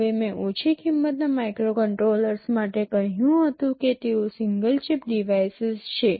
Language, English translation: Gujarati, Now as I had said for low cost microcontrollers, that they are single chip devices